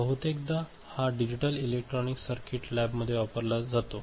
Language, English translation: Marathi, It is often used in the digital electronic circuit lab